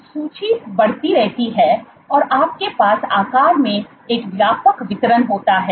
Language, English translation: Hindi, So, the list keeps on growing, you have a broad distribution in sizes